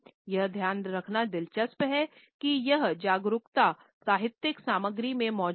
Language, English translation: Hindi, It is interesting to note that this awareness has existed in literary content